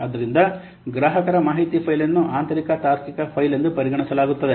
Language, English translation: Kannada, So, customer info file will be an internal logical file